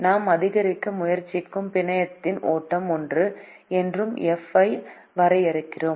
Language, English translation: Tamil, we also define f as the flow in the network which we try to maximize